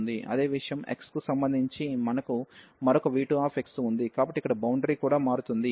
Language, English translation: Telugu, And the same thing, we have some other v 2 x function with respect to x, so that is boundary here also changes